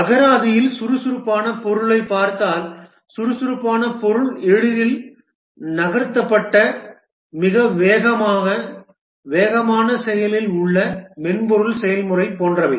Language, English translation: Tamil, If we look at the meaning of agile in dictionary, agile means easily moved, very fast, nimble, active software process, etc